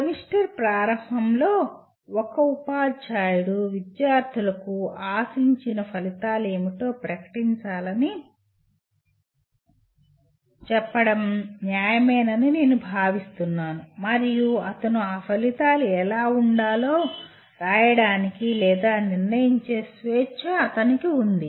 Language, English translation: Telugu, I think it is fair to say a teacher should at the beginning of the semester should declare to the students what are the expected outcomes and he has the freedom to write or decide what those outcomes he wants them to be